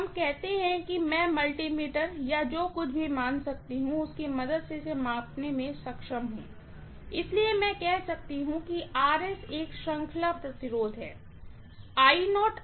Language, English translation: Hindi, Let us say I am able to measure this with the help of you know a multimeter or whatever and I know the values, so I can say I0 times Rs is a series resistance, fine